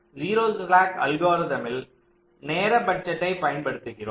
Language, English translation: Tamil, ok, so in the zero slack algorithm we are using the concept of a time budget